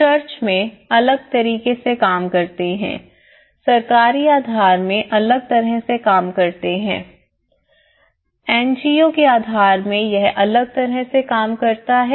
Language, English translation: Hindi, In church, they set up it acts differently in a government base set up it act differently, in a NGO base set up it acts differently